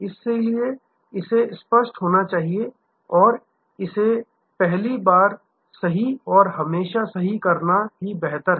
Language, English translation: Hindi, So, if should be clear and it is better to do it the first time right and always right